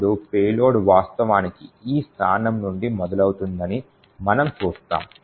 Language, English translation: Telugu, Then we would see that the payload is actually present starting from this location